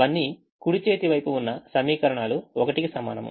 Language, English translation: Telugu, all of them are equations with right hand side is equal to one